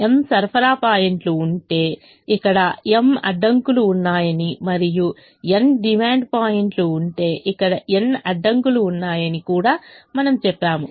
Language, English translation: Telugu, we also said that if there are m supply points, there are m constraints here, and if there are n demand points, there are n constraints here